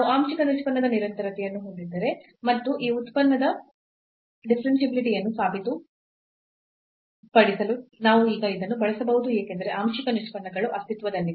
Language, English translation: Kannada, So, we have the continuity of the partial derivative and that we can use now to prove the differentiability of this function because the partial derivatives exist, function is continuous